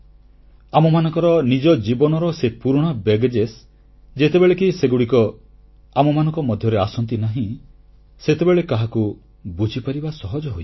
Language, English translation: Odia, There are old baggage's of our own lives and when they do not come in the way, it becomes easier to understand others